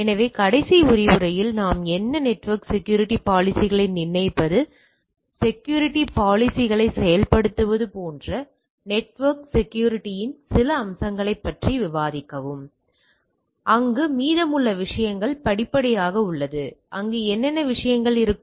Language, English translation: Tamil, So, what we are in the last lecture we are discussing on some of the aspects of network security like determining network security policies, implementing the security policies and there rest of the things are step by step what are the things will be there